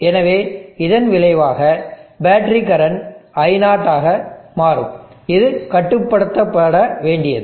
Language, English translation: Tamil, So as a consequence the battery current will become I0 and this is what as to be controlled